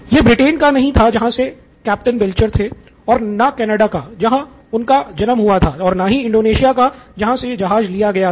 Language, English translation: Hindi, It was not the UK where Captain Belcher was from or Canada where he was born or Indonesia where the ship was taken